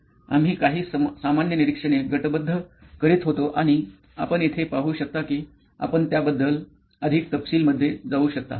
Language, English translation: Marathi, We were sort of grouping some of the common observations and you can be very detailed with this as you can see here